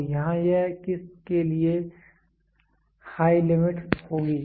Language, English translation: Hindi, So, here it will be high limit for what